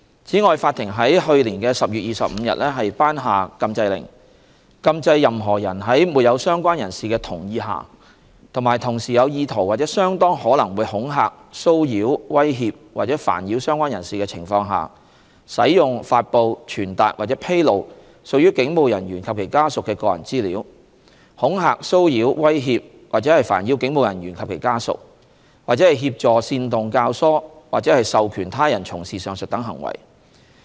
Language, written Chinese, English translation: Cantonese, 此外，法庭在2019年10月25日頒下禁制令，禁制任何人在沒有相關人士的同意下及同時有意圖或相當可能會恐嚇、騷擾、威脅或煩擾相關人士的情況下使用、發布、傳達或披露屬於警務人員或其家屬的個人資料；恐嚇、騷擾、威脅或煩擾警務人員或其家屬；或協助、煽動、教唆或授權他人從事上述等行為。, Furthermore on 25 October 2019 the Court granted an injunction order restraining any person from using publishing communicating or disclosing personal data of any police officers or their family members intended or likely to intimidate molest harass threaten or pester any police officers or their family members without consent of the persons concerned; from intimidating molesting harassing threatening or pestering any police officers or their family members; or from assisting inciting abetting or authorising others to commit any of these acts